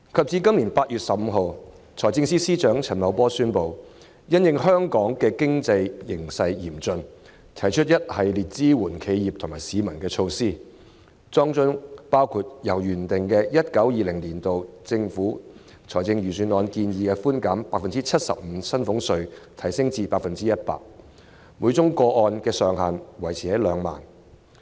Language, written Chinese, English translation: Cantonese, 至今年8月15日，財政司司長陳茂波宣布，因應香港嚴峻的經濟形勢，推出一系列支援企業和市民的措施，當中包括將上述預算案建議的寬減比率由 75% 提升至 100%， 每宗個案的上限維持在2萬元。, On 15 August this year Financial Secretary Paul CHAN announced a package of support measures for enterprises and the public to counter the severe economic environment of Hong Kong . One of the measures seeks to increase the tax reduction proposed in the aforesaid Budget from 75 % to 100 % while retaining the ceiling of 20,000 per case